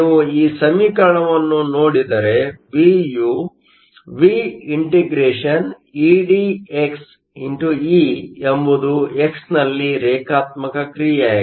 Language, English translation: Kannada, If you look at this expression V is the ∫ E d x E is a linear function in x